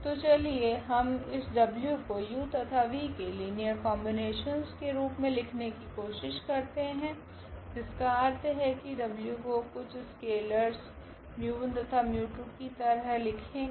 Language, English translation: Hindi, So, let us try now how we can write we can express this w as a linear combination of u and v; that means, the w can we write as mu 1 u and mu 2 v for some scalars mu 1 and mu 2